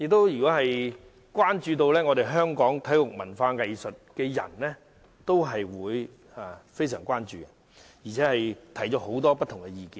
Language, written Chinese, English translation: Cantonese, 而關注本港體育及文化藝術的人士，亦曾提出許多不同的意見。, People who are concerned about local sports culture and arts had given many different views on this topic